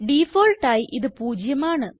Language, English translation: Malayalam, By default, it is zero